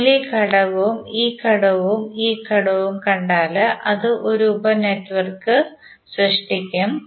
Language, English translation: Malayalam, If you see this element, this element and this element it will create one star sub network